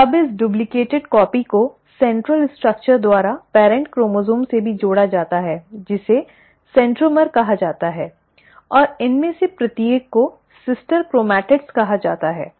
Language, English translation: Hindi, So now this duplicated copy is also attached to the parent chromosome by a central structure which is called as the centromere and each of these are called as sister chromatids